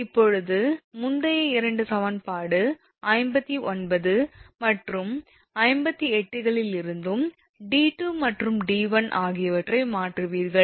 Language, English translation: Tamil, Now, d 2 and d 1 from the previous two equations you substitute right; 59 and 58